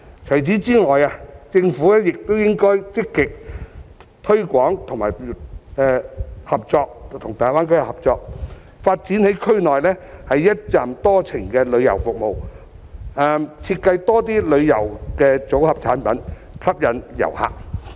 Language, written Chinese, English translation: Cantonese, 除此之外，政府亦應該積極推廣及與大灣區合作，在區內發展"一程多站"的旅遊服務，多設計旅遊組合產品，吸引遊客。, Besides the Government should also conduct active promotion and strike up cooperation with the Greater Bay Area to develop multi - destination tourism services in the region while also designing more tourism product portfolios to attract visitors